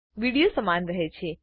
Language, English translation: Gujarati, Video remains the same